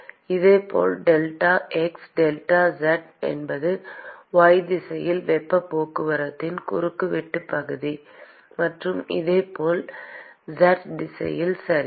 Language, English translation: Tamil, Similarly delta x delta z is the cross sectional area of heat transport in the y direction; and similarly for the z direction, okay